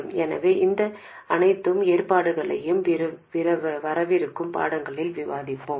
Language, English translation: Tamil, So we will discuss all these arrangements in the forthcoming lesson